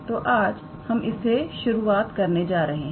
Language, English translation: Hindi, So, this is what we start with today